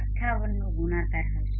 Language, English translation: Gujarati, 58 so divided by 4